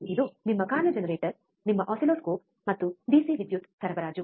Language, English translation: Kannada, This is your function generator your oscilloscope and DC power supply